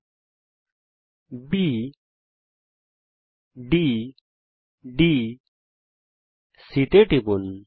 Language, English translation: Bengali, Click on the points ,B D ...D C ..